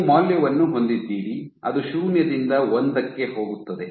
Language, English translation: Kannada, So, you have a value which goes from 0 all the way to 1